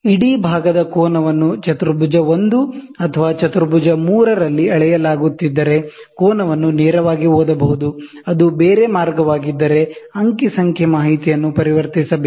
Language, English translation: Kannada, If the angle of the whole part are being measured in quadrant 1 or quadrant 3, the angle can be read directly; if it is the other way, data has to be converted